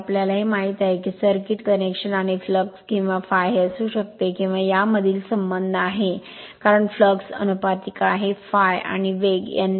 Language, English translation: Marathi, We know this the circuit connections and the relation between flux or phi phi or I f this can be phi or this can be I f because, flux is proportional to I f and speed n are shown in figure above